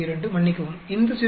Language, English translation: Tamil, 72, sorry this 0